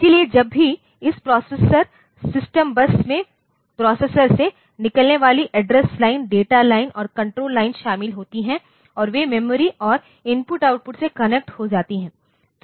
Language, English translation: Hindi, So, whenever this processor, the system bus consists of say address lines, data lines and control lines coming out of the processor and they are connected to the memory and I/O in some as it is required